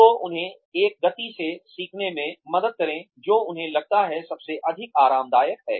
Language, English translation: Hindi, So, help them learn at a speed, that they feel, most comfortable with